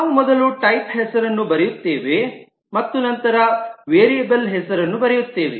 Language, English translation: Kannada, We first write the type name and then we write the variable name